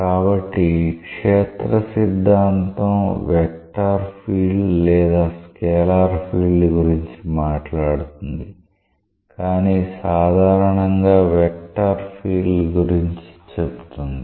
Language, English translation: Telugu, And so, field theory talks about a vector field or maybe a scalar field, but in general a vector field